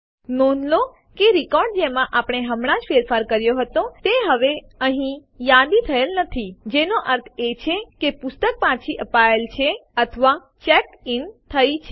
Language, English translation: Gujarati, Notice that the record we just edited is no longer listed here, which means the book has been returned or checked in